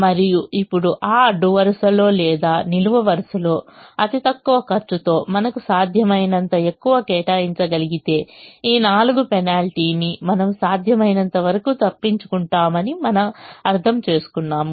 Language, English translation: Telugu, and now we understand that if we are able to allocate as much as we can in the least cost position in that row or column, then we will avoid this penalty of four as much as we can